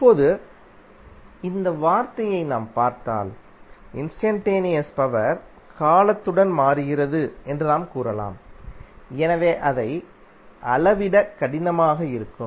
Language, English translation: Tamil, Now, if you see this term you can say that instantaneous power changes with time therefore it will be difficult to measure